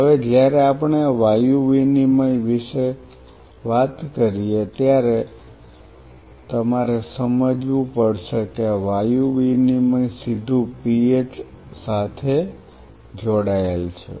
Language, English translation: Gujarati, Now when we talk about the Gaseous Exchange you have to understand the gaseous exchange is directly linked to PH